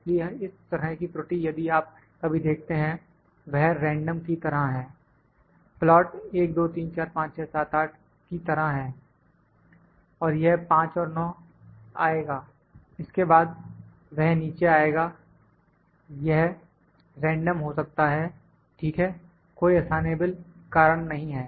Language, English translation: Hindi, So, this kind of error if you can see sometime it is random like that the plot is like 1, 2, 3, 4, 5, 6, 7,8 it is 5 comes 9, then it comes down this can be random, ok, no assignable causes